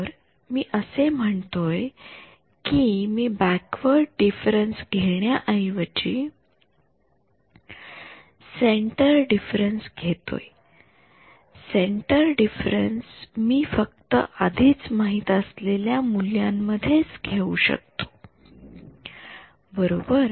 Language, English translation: Marathi, So, I am saying instead of taking the backward difference I take centre difference centre difference I can only take between the values that I already have right